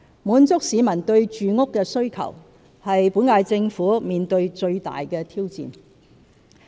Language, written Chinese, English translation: Cantonese, 滿足市民對住屋的需求是本屆政府面對最大的挑戰。, Meeting the publics demand for housing is the greatest challenge for the current - term Government